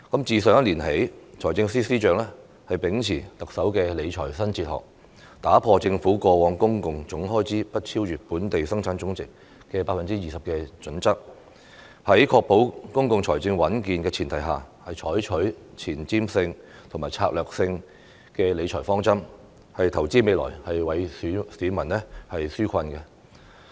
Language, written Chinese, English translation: Cantonese, 自上一年度起，財政司司長秉持特首的理財新哲學，打破政府過往公共總開支不超越本地生產總值的 20% 的準則，在確保公共財政穩健的前提下，採取前瞻性和策略性的理財方針，投資未來，為市民紓困。, Since last year the Financial Secretary has adhered to the new fiscal philosophy of the Chief Executive . He dropped the previous criterion that total public expenditure should be kept at or below 20 % of GDP and adopted forward - looking and strategic financial management principles to invest for the future and relieve peoples burden on the premise of ensuring healthy public finance